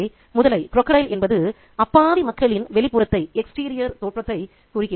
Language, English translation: Tamil, So, the crocodile stands for that apparently innocent exterior of people